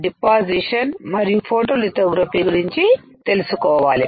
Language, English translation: Telugu, Then we need to know deposition and photolithography